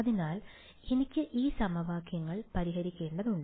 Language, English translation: Malayalam, So, I need to solve these equations